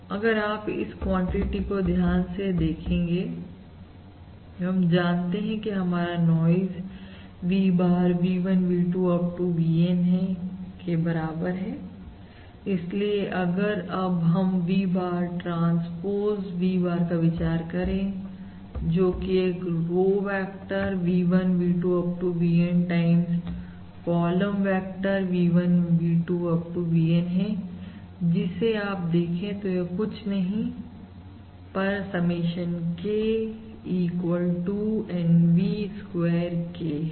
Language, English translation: Hindi, therefore, if you are now consider V bar, transpose V bar, this is basically a row vector V1, V2… Up to VN times your column vector V1, V2… Up to VN, which you can now see is nothing, but basically your summation K equals 1 to N V square K And which is also basically norm of V bar square